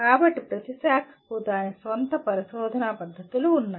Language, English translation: Telugu, So each branch has its own research methods